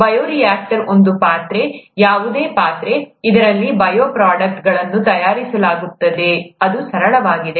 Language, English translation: Kannada, Bioreactor is a vessel, any vessel, in which bioproducts are made, it is as simple as that